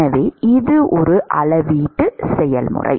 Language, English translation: Tamil, So, that is a volumetric process